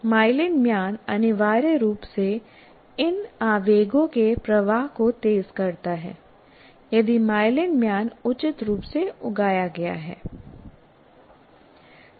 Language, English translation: Hindi, And the myelin sheath essentially makes the flow of these impulses faster if the myelin sheet is properly kind of grows